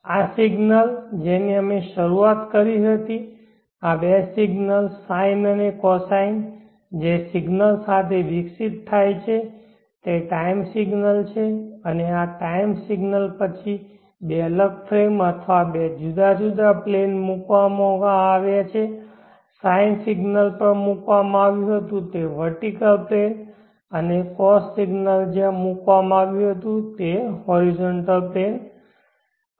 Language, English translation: Gujarati, This signal which we started with these two signals the sine and the cosine which are evolving along time they are time signals and these time signals were then put into two different flavoring or two different planes the sine signal was put on the vertical plane and the cost signal was put on the horizontal plane